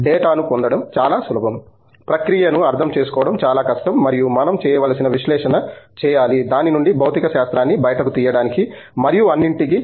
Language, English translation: Telugu, It’s easy to get the data, lot harder to understand process and there is too must post processing that we need to do, to squeeze physics out of it and all that